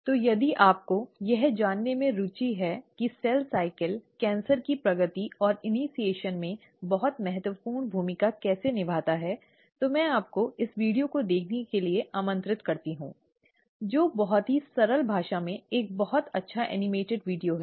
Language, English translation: Hindi, So if you are interested to know exactly how cell cycle plays a very vital role in progression and initiation of cancer, I invite you to see this video, a very nice animated video in a very simple language